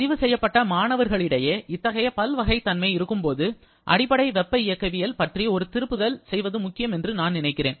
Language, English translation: Tamil, Now, when there are such variety among the registered students, then I feel it is important to have a review of the basic thermodynamics